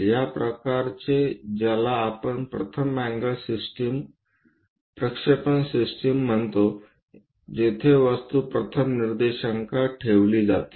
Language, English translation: Marathi, This kind of representation what we call first angle projection system where the object is placed in the first coordinate